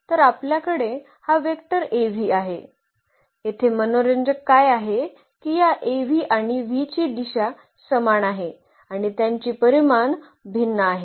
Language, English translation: Marathi, So, we have this vector Av; what is interesting that this Av and v they have the same direction and their magnitudes are different